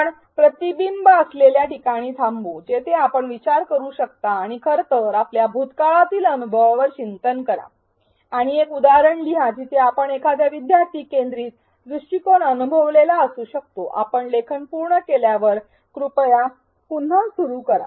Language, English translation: Marathi, Let us pause at a reflection spot where you can think and in fact, reflect on your past experience and write one instance where you may have experienced a learner centric approach when you are done writing please resume